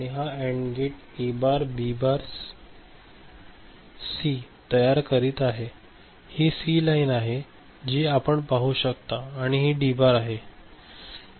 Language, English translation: Marathi, This AND gate is generating this particular product term A bar, B bar C this is C line you can see and D bar right